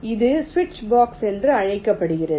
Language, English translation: Tamil, this is called a switch box